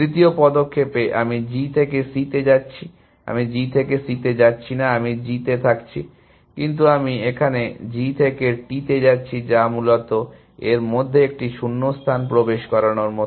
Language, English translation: Bengali, The third move I am going from G to C, I am not going from G to C, I am staying in G, but I am going from G to T here, which is like inserting a gap in this essentially